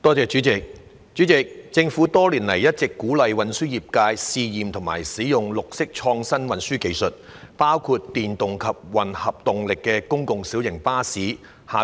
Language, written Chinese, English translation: Cantonese, 主席，政府多年來一直鼓勵運輸業界試驗及使用綠色創新運輸技術，包括電動及混合動力的公共小型巴士。, President over the years the Government has been encouraging the transport sector to try out and use green innovative transport technologies including electric and hybrid public light buses PLBs